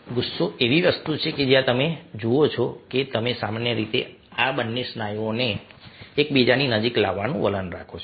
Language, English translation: Gujarati, anger is something where you see that you generally trend to bring both these, the muscles, closer together